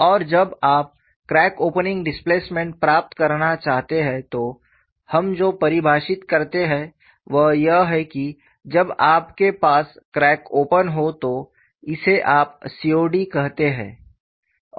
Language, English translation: Hindi, Then we moved on to finding out, what is crack opening displacement, and when you want to get the crack opening displacement, what we define is, when you have the crack has opened, this you call it as COD